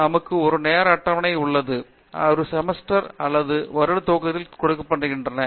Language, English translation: Tamil, So, we have a time table that is given at the beginning of the semester or a year